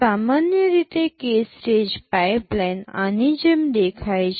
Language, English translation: Gujarati, A k stage pipeline in general looks like this